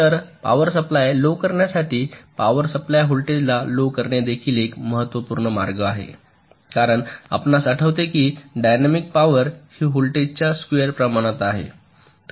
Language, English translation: Marathi, so reduction of power supply voltage is also very, very important way to reduce the power consumption because, you recall, dynamic power is proportional to this square of the voltage